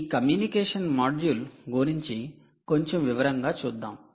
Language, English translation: Telugu, let us look at a little more detail at this communication module